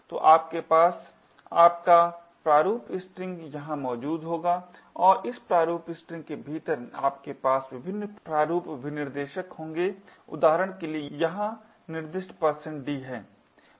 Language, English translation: Hindi, So, you would have your format string present here and within this format string you would have various format specifiers for example the one specified over here is %d